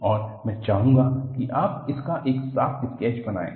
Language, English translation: Hindi, And, I would like you to make a neat sketch of this